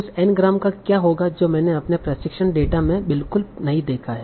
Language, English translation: Hindi, So what will happen to the n grams that have not seen at all in my training data